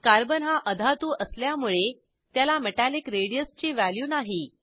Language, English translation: Marathi, Since Carbon is a non metal it does not have Metallic radius value